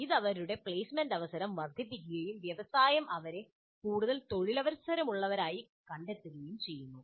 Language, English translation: Malayalam, So this in turn enhances their placement opportunity and industry also finds them to be more employable